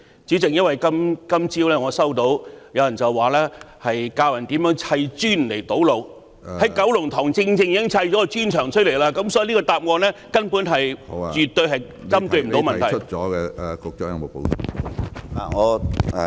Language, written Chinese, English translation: Cantonese, 主席，我今早收到有人教人如何砌磚堵路，而在九龍塘正正砌了一幅磚牆，所以這個答案絕對未能針對問題。, President this morning I received messages instructing people how to lay bricks to barricade roads and a brick wall was exactly erected in Kowloon Tong . So this reply has absolutely not addressed the problem